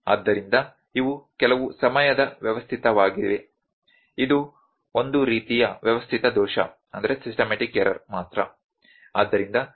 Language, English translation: Kannada, So, these are some time systematic, it is a kind of the systematic error only